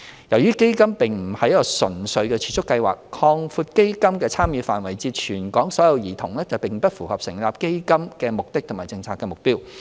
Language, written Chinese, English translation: Cantonese, 由於基金並不是一個純粹的儲蓄計劃，擴闊基金的參與範圍至全港所有兒童並不符合成立基金的目的及政策目標。, Since CDF is not simply a saving scheme expanding its scope to cover all children in Hong Kong is inconsistent with its purpose and policy objectives